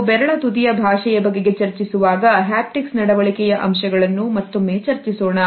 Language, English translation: Kannada, When we will look at the language of the fingertips then these aspects of our haptic behavior would be discussed once again